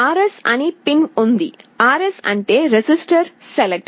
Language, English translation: Telugu, There is a pin called RS, RS stands for register select